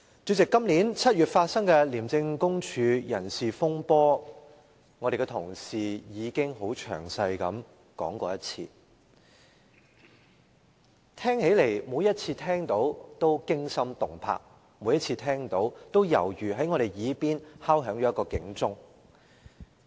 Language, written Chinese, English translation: Cantonese, 主席，今年7月發生的廉政公署人事風波，會內的同事已經很詳細地提述一遍，每次聽到也驚心動魄，每次聽到也猶如在我們耳邊敲響警鐘。, President Members of this Council have already recounted in detail the personnel reshuffle that occurred in the Independent Commission Against Corruption ICAC in July 2016 . Every time I hear about it I am terrified . Every time we hear about it we feel like hearing the sounding of an alarm beside our very ears